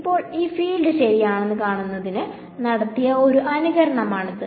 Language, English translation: Malayalam, So now, this is a simulation which was done to find out what the field looks like ok